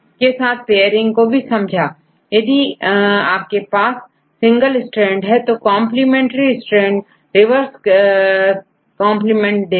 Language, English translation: Hindi, So, if you have a single strand how to get the complementary strand